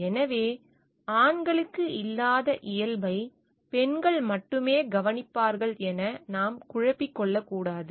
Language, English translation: Tamil, So, we should not confuse like only women will be caring for the nature males are not